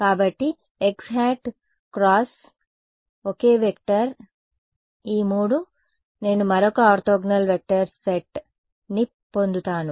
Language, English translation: Telugu, So, x hat cross some same vector all three I will just get it another set of orthogonal vectors